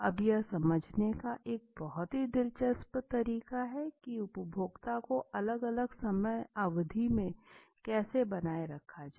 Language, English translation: Hindi, Now that is the very interesting way of understanding how to retain the consumer all those at a different time periods okay